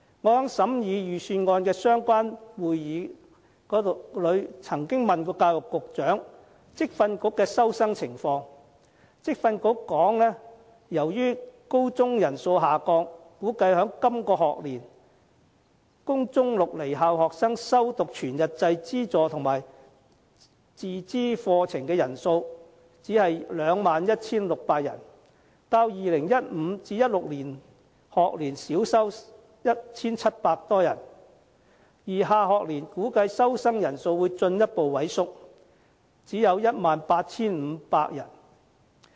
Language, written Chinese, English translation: Cantonese, 我在審議預算案的相關會議中，曾經詢問教育局局長有關職業訓練局的收生情況，而職訓局的答覆是，由於高中人數下降，估計在今個學年，供中六離校生修讀全日制資助和自資課程的人數只有 21,600 人，較 2015-2016 學年少收 1,700 多人，而下學年估計收生人數會進一步萎縮，只有 18,500 人。, In the meeting to examine the Estimates of Expenditure I asked the Secretary for Education about the student intake of the Vocational Training Council VTC . The reply of the Secretary states that due to the decline of the senior secondary student population they estimate the total number of student intake of full - time subvented and self - financing programmes for Secondary Six school leavers for this academic years is 21 600 which is about 1 700 less than the student intake in 2015 - 2016 academic year . They foresee that the student intake of the next academic year will further reduce to only 18 500